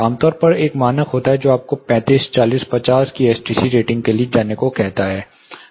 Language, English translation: Hindi, Typically there is a standard which asks you to go for, and STC rating of says 35 40 50